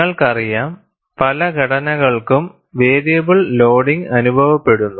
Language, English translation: Malayalam, Because all you know, many structures experience variable loading